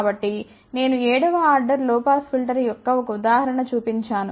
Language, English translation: Telugu, So, I shown one example of a 7th order low pass filter